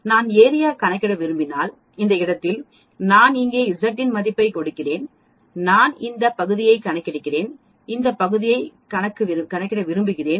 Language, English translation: Tamil, At this place suppose I give a value of Z here and I want to calculate this area and I want calculate this area